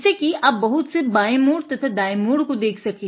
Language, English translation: Hindi, So, you can see that there are a lot of right turns and left turns right